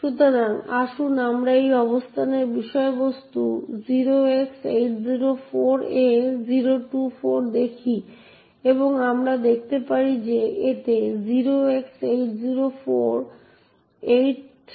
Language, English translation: Bengali, 0X804A024 and we see that it contains 08048536